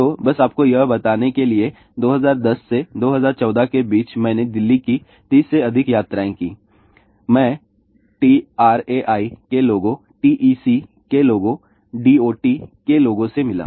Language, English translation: Hindi, So, just to tell you , between 2010 and 2014 I made more than 30 trips to Delhi , I met TRAI people, TZ people, D O T people